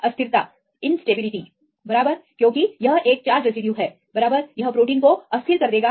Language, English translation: Hindi, Destabilization, right because it is a charge residue right it will destabilize the protein